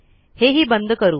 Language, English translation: Marathi, Lets close this